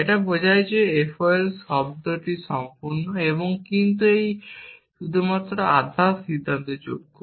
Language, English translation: Bengali, It terms out that that F O L is sound complete, but it is only semi decidable